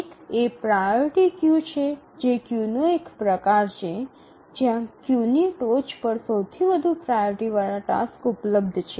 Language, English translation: Gujarati, If you can recollect what is a priority queue, it is the one, it's a type of queue where the highest priority task is available at the top of the queue